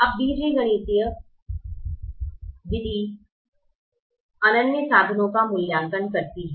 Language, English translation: Hindi, now the algebraic method evaluates infeasible solutions